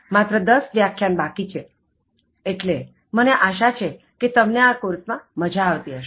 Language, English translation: Gujarati, Only 10 more lectures will be remaining, so I hope you have been enjoying doing this course